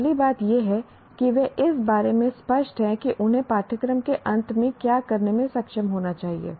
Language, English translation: Hindi, First thing is they are clear about what they should be able to do at the end of a course